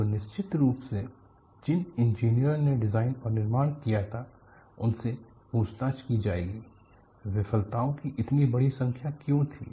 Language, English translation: Hindi, So, definitely, the engineers whodesigned and fabricated would be questioned why there had been suchastronomical number of failures